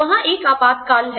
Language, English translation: Hindi, There is an emergency